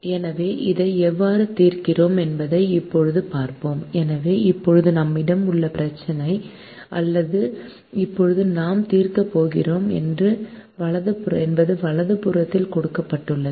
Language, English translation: Tamil, so the problem that we have now it or we are now going to solve, is given on the right hand side